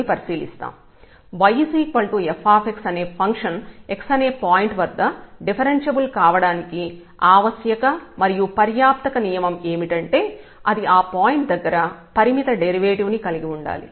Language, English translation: Telugu, So, the necessary and sufficient condition that the function y is equal to f x is differentiable at the point x is that it possesses a finite derivative at this point